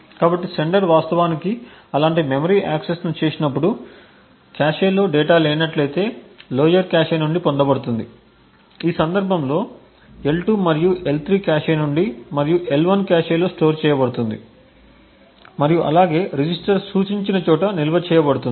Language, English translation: Telugu, So, each time the sender actually make such a memory access, the data if it is not present in the cache would be fetched from a lower cache in this case the L2 and L3 cache and stored in the L1 cache as well as stored in a register pointed to buy this